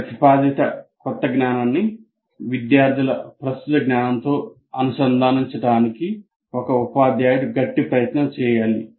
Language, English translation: Telugu, So a teacher will have to make a very strong attempt to link the proposed new knowledge to the existing knowledge of the students